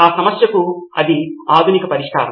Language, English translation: Telugu, This is the modern solution to that problem